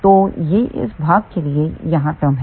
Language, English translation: Hindi, So, what is this term here